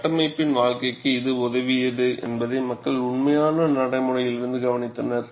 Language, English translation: Tamil, People have observed from actual practice, that it has helped, the life of the structure